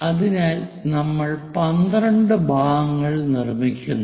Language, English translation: Malayalam, So, we make 12 parts